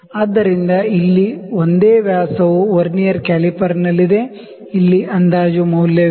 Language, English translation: Kannada, So, the single dia here is in the Vernier caliper, the approximate reading here is